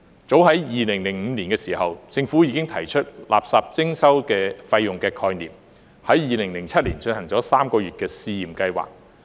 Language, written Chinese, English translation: Cantonese, 早在2005年，政府已提出垃圾徵費的概念 ，2007 年進行了3個月的試驗計劃。, As early as in 2005 the Government already put forward the concept of waste charging . In 2007 a three - month pilot scheme was conducted